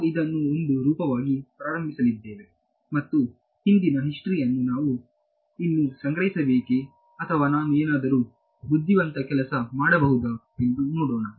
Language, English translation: Kannada, So, we are going to start with this as one form and see do I still have to store all the past history or is there some clever thing I can do ok